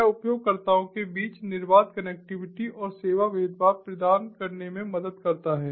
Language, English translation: Hindi, this helps in providing seamless connectivity and service differentiation among the users